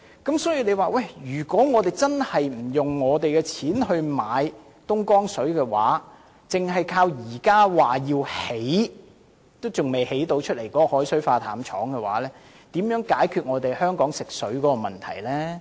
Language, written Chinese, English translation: Cantonese, 因此，如果我們真的不花費任何金錢購買東江水的話，則單靠現時說要興建但未成事的海水化淡廠，如何能解決香港的食水問題呢？, And so if we really decide to spend not even a penny on the purchase of Dongjiang water but rely solely on the proposed desalination plant which has yet to be constructed so far how can we cater for the Hong Kongs need for drinking water?